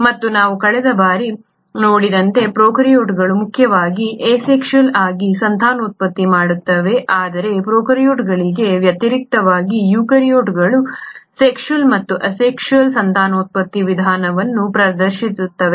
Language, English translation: Kannada, And as we had seen last time prokaryotes mainly reproduce asexually, but in contrast to prokaryotes, eukaryotes exhibit both sexual and asexual mode of reproduction